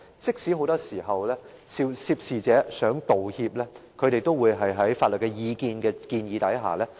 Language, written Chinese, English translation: Cantonese, 即使很多時候，涉事者想道歉，也會在法律意見的建議下卻步。, Under the advice of legal counsels they very often withdraw from making apologies despite their wish to do so